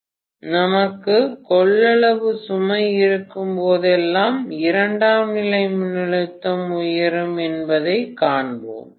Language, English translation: Tamil, So whenever we have capacitive load we will see that the secondary voltage rises